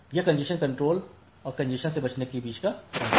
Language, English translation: Hindi, So, that is the difference between the congestion control and congestion avoidance